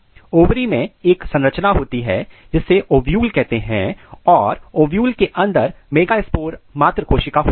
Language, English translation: Hindi, In ovary there is a structure called ovule and in ovule we have megaspore mother cell